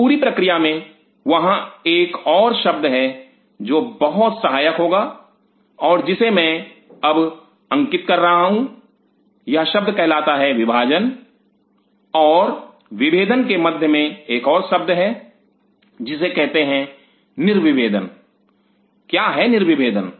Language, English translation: Hindi, In that whole process there is another word which will be coming very handy and that I am just putting in grade now this is the word called between division and differentiation there is another word called De Differentiation, what is de differentiation